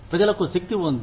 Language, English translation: Telugu, People have power